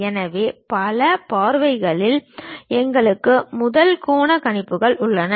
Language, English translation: Tamil, So, in multi views, we have first angle projections